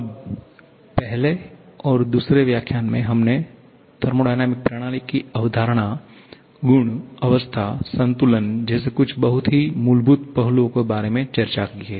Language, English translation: Hindi, Now, in the first and second lecture, we have discussed about some very fundamental aspects like the concept of thermodynamic system, property, state, equilibrium